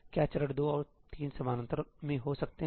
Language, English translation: Hindi, Can steps 2 and 3 happen in parallel